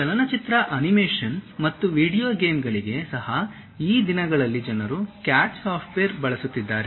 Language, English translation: Kannada, Even for film animations and video games, these days people are using CAD software